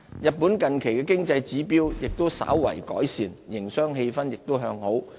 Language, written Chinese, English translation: Cantonese, 日本近期經濟指標亦稍有改善，營商氣氛亦向好。, For Japan its economic indicators have recently showed slight improvement and its business sentiment is also favourable